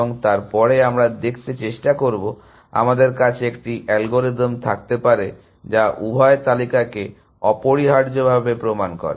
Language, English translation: Bengali, And then we will try to see whether, we can have an algorithm which proven both the list essentially